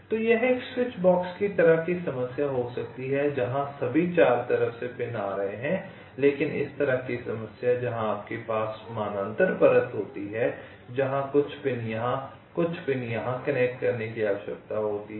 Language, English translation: Hindi, so this can be a switch box kind of problem where pins are coming from all four sides, but problem like this where you have a parallel layers where some pins here and some pins here need to connected